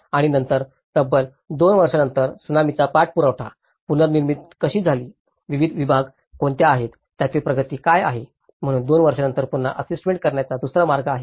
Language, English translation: Marathi, And then following up on the Tsunami after 2 years, how the reconstruction have taken up, what are the various segments, what is the progress of it, so there is a second way of assessment has been done after 2 years